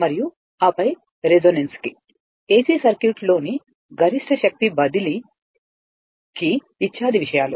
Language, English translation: Telugu, And what you call that your resonance then, your maximum power transfer in AC circuit; those things